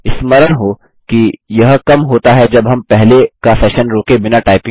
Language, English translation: Hindi, Recall, that it decreased when we stopped typing without pausing the earlier session